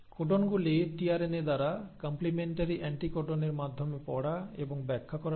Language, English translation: Bengali, The codons are read and interpreted by tRNA by the means of complementary anticodon